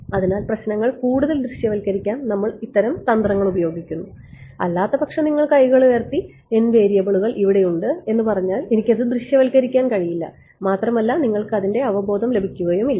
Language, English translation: Malayalam, So, these kinds of tricks we do to make the problems more visualizable other wise you know you will just throw up your hands and say n variables, I cannot visualize it you will not getting intuition